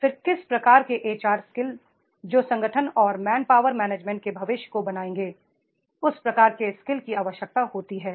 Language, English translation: Hindi, Then how type of the HR skills that will make the future of the organization and man power management that type of skills is required